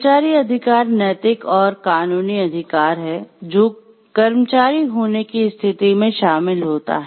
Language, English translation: Hindi, So, employee rights are any rights moral or legal that involved the status of being an employee